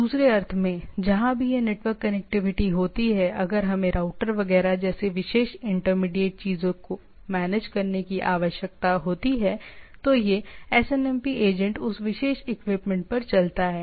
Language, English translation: Hindi, So in other sense wherever this network connectivity is there, if we need to be managed like specially intermediate things like router etcetera, this SNMP agents runs on a on that particular equipment